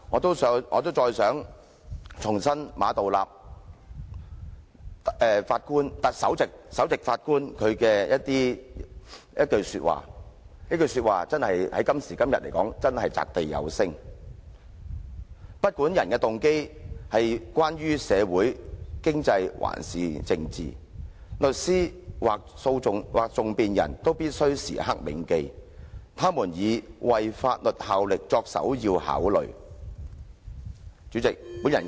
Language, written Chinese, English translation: Cantonese, 最後，我想重申馬道立首席法官的一句話，這句話今時今日真是擲地有聲："不管訴諸法庭的人動機為何——無論是社會、經濟或政治上的動機——律師，或更具體而言，訟辯人必須時刻銘記他們是以為法律效力為首要考慮。, Lastly I would like to reiterate the powerful and resonating remark made by Chief Justice Geoffrey MA whatever the motives of those who come before the courts―whether social economic or political―the lawyer or more specifically the advocate must at all times understand that he or she is serving the law first and foremost